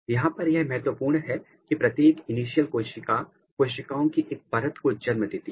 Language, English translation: Hindi, And, what is important here that each cell; each initial cells they give rise to one layer of the cells, particularly here